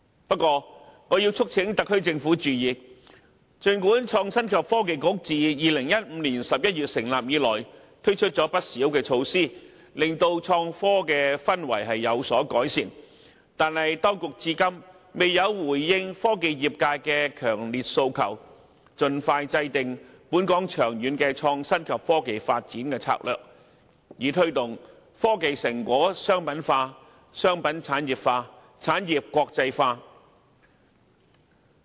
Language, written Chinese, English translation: Cantonese, 不過，我促請特區政府注意，儘管創新及科技局自2015年11月成立以來推出不少措施，使創科氛圍有所改善，但當局至今仍未回應科技業界的強烈訴求，就是盡快制訂本港長遠創新及科技發展策略，以推動科研成果商品化、商品產業化及產業國際化。, Nevertheless I also urge the SAR Government to note that although a number of measures have been launched since the establishment of the Innovation and Technology Bureau in 2015 and the atmosphere for IT development has been improved the authorities have not yet responded to the strong aspiration of the technology sector to formulate a long - term IT development strategy for Hong Kong as soon as practicable so as to promote the commercialization industrialization and internalization of RD results